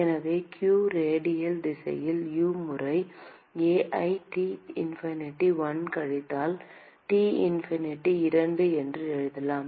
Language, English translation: Tamil, So, q, in the radial direction, we can write as U times A into T infinity 1 minus T infinity 2